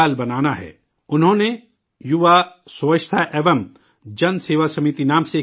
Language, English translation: Urdu, He formed an organization called Yuva Swachhta Evam Janseva Samiti